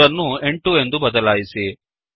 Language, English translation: Kannada, So, change 3 to 8